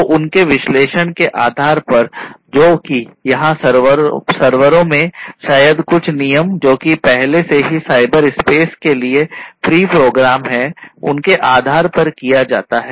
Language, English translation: Hindi, So, based on their analysis that is performed in the servers over here maybe based on certain rules etcetera that are already pre programmed in those you know cyber spaces